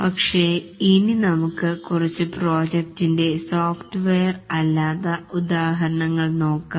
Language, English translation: Malayalam, But then let's look at some non software examples of projects